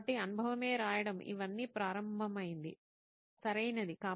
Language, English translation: Telugu, So writing experience is the start of all of this, right